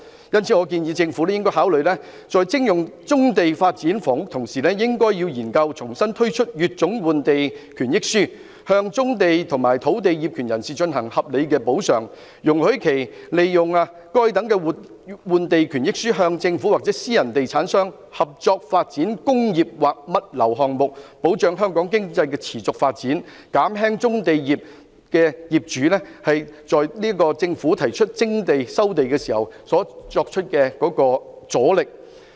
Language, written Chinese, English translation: Cantonese, 因此，我建議政府考慮在徵用棕地發展房屋之餘，研究重新推出乙種換地權益書，向棕地和土地業權人提供合理的補償，容許他們利用該等換地權益書與政府或私人地產商合作發展工作或物流項目，保障香港經濟的持續發展，減輕棕地業主在政府提出徵地或收地時所作出的阻力。, If we merely focus on housing construction we are denying the important economic functions these trades are fulfilling . Hence I suggest that in addition to considering the resumption of brownfield sites for housing development the Government should examine the re - introduction of the Letter B to provide reasonable compensation to owners of brownfield sites and other sites allowing them to use the exchange entitlement to cooperate with the Government or private estate developers in developing works projects or logistics projects . This can ensure the continuous economic development of Hong Kong and ease the resistance to land requisition and resumption proposals put forward by the Government